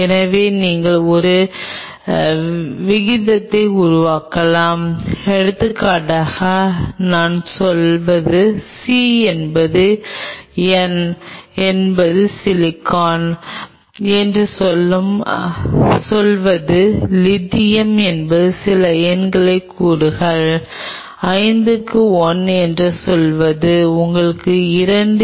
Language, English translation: Tamil, So, you can develop a ratio say for example, I say c is to n is to say silicon is to say lithium is just put some number say, say 5 is to 1 is to you know 2 is to 0